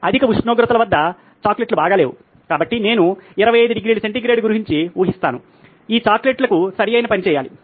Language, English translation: Telugu, The chocolates are not very good at high temperatures, so I would guess about 25 degree centigrade ought to do right for these chocolates